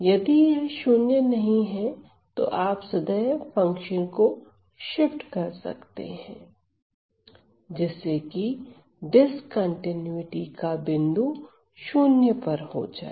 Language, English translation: Hindi, If it is not 0 then you can always shift the function, so, that the point of discontinuity lies at 0 right